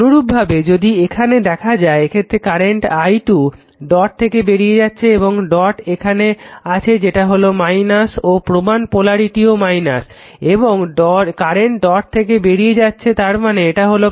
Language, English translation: Bengali, Similarly, similarly if you see here, in this case if you see here current actually this i 2 leaving the dot and dot is here in this minus also the reference polarity is also minus and current leaving the dot; that means, this will be plus right